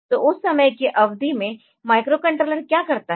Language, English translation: Hindi, So, what does the microcontroller do in that period of time